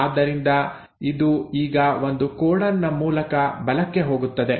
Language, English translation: Kannada, So this now will shift by one codon to the right